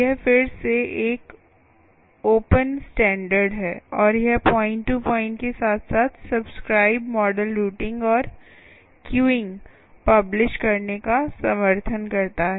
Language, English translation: Hindi, this is a open standard again, and it supports both point to point as well as publish, subscribe models, routing and queuing